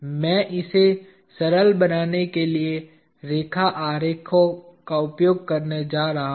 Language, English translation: Hindi, I am going to use line diagrams in order to make it simple